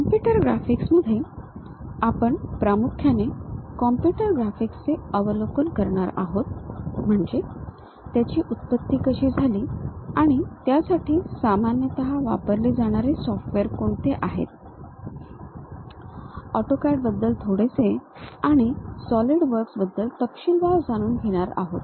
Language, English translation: Marathi, In computer graphics, we mainly cover overview of computer graphics, how they have originated and what are the commonly used softwares; little bit about AutoCAD and in detail about SolidWorks